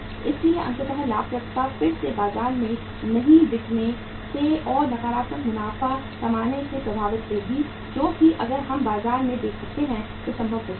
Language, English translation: Hindi, So ultimately profitability will be again negatively affected by not selling in the market and by not earning the profits which could have been possible if we could have sold in the market